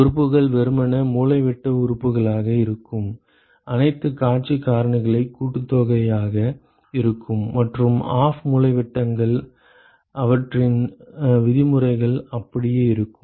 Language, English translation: Tamil, The elements will simply be the diagonal elements will be summation of all the view factors and the off diagonals their terms will remain the same ok